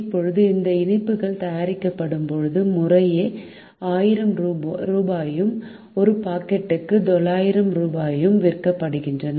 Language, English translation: Tamil, now this sweets, when made, are sold at rupees thousand and rupees nine hundred per packet respectively